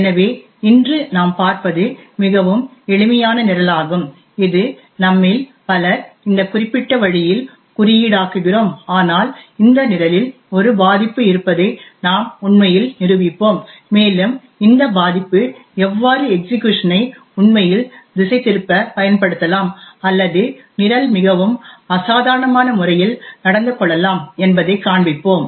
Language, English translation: Tamil, So what we will be seeing today is a very simple program which many of us actually code in this particular way but we will actually demonstrate that there is a vulnerability in this program and we will show how this vulnerability can be used to actually subvert execution or make the program behave in a very abnormal way